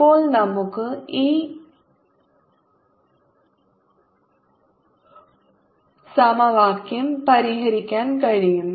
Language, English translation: Malayalam, now we can solve this equation